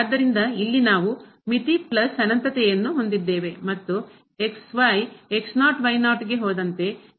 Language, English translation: Kannada, So, here we have the limit plus infinity and the is approaching to minus infinity as goes to